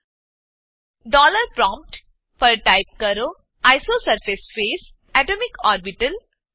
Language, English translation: Gujarati, At the ($) dollar prompt type isosurface phase atomicorbital